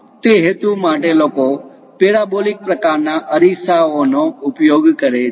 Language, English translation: Gujarati, For that purpose also people go with parabolic kind of mirrors